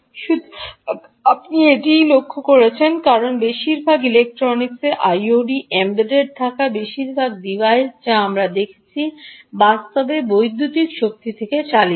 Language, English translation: Bengali, so, ah, that's what you are looking at, because most of the electronics, most of the i o t embedded devices that we are looking at, actually run from electrical power